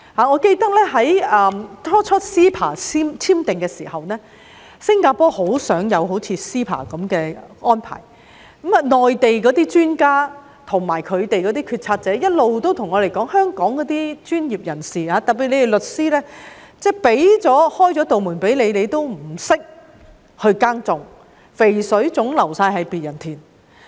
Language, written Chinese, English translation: Cantonese, 我記得最初簽訂 CEPA 時，新加坡也很想有類似 CEPA 的安排，內地專家和決策者一直跟我們說，內地開了門給香港的專業人士——特別是律師——他們卻不懂得耕耘，肥水總是流到別人田。, I remember that when the MainlandHong Kong Closer Economic Partnership Arrangement CEPA was first signed Singapore was keen on having a similar arrangement . All the while Mainland experts and policy makers have been telling us that the Mainland has opened its doors to Hong Kong professionals particularly lawyers but the latter have no idea how to seize the opportunities and as a result always let them slip to others